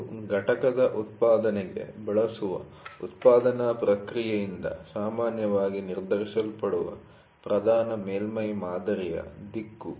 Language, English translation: Kannada, It is the direction of the predominant surface pattern ordinarily determined by the production process used for manufacturing the component